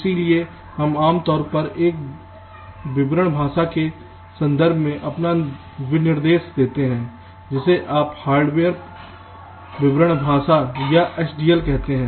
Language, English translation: Hindi, so we typically give our specification in terms of a description language, which you call as hardware description language or h d l